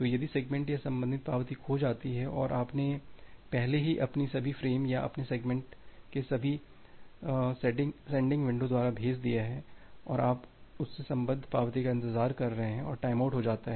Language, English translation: Hindi, If the segment or the corresponding acknowledgement get lost and you have already sent all the frames or all the segments in your in your say, sending window, and you are waiting for the acknowledgement corresponds to that then, a timeout may occur